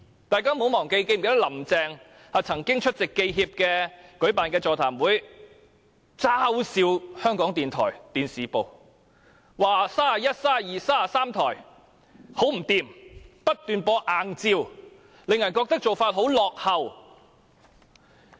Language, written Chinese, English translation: Cantonese, 大家不要忘記，林鄭月娥曾經出席香港記者協會舉辦的座談會，嘲笑港台電視部，說31台、32台和33台很不濟，不斷播放硬照，令人覺得做法很落後。, Let us not forget that when she attended a seminar hosted by the Hong Kong Journalists Association Carrie LAM teased the TV Division of RTHK saying that TV 31 32 and 33 are most undesirable as they kept showing still images which seemed to be behind the times